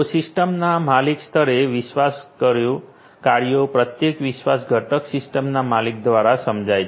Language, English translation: Gujarati, So, trust functionalities at the system owner level; every trust component has to be realized by the system owner